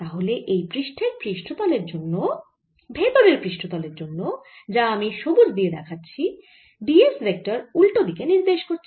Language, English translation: Bengali, so for the inner surface, let me write it with green, since d s vector is pointing in the opposite direction